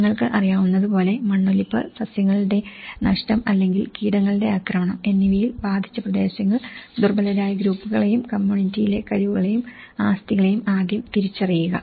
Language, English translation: Malayalam, You know, the identified areas affected by erosion, loss of vegetation or pest infestation and identify vulnerable groups and capacities and assets within the community